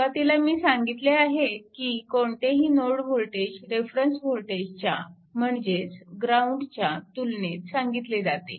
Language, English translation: Marathi, At the beginning we have told any node voltage with respect to this reference node, this this is ground